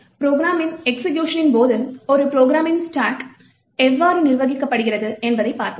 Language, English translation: Tamil, So now we will see how the stack of a program is managed during the execution of the program